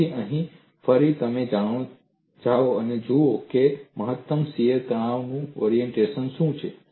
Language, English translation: Gujarati, So, here again, you go and look at what is the orientation of maximum shear stress